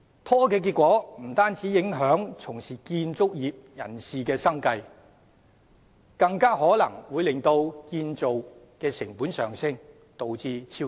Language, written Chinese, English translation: Cantonese, 拖延的結果不單影響從事建築業人士的生計，更有可能令建造成本上升，導致超支。, Procrastination will not only affect the living of people who work in the construction industry . It may even cause the costs of construction to rise thus resulting in overruns